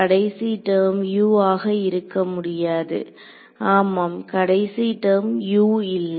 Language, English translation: Tamil, The last term does not have a U yeah the last term does not have a U